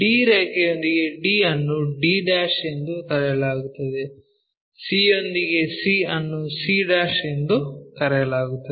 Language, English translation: Kannada, d with d line called d', c with c'